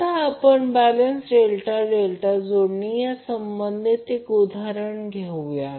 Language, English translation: Marathi, Now let us take the example related to our balanced delta delta connection